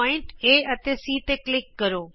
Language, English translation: Punjabi, Click on the points A,E,C C,E,D